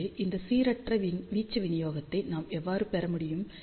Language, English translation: Tamil, So, how we can get this non uniform amplitude distribution